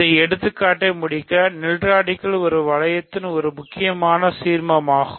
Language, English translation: Tamil, So, just to complete this example, the nilradical is an important ideal in a ring